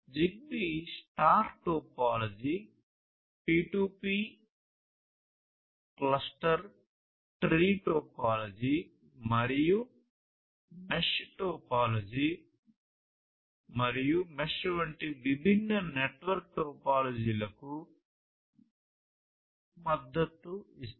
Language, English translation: Telugu, And, ZigBee supports different network topologies such as the star topology, P2P cluster tree topology and mesh topology and the mesh is the one of the most widely used topologies using ZigBee